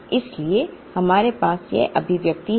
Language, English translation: Hindi, Therefore, we have this expression